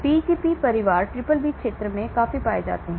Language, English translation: Hindi, the Pgp family are quite abundantly found in the BBB region